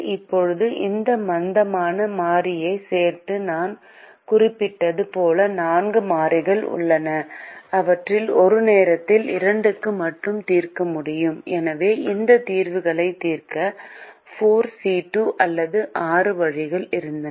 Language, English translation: Tamil, now, as i mention, with the inclusion of this slack variable, there are four variables out of which we can only solve for two at a time, and therefore we had four, c, two or six ways of solving these solutions